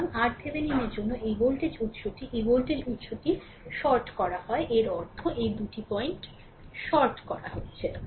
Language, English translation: Bengali, So, for R Thevenin this voltage source is shorted this voltage source is shorted; that means, these two point is shorted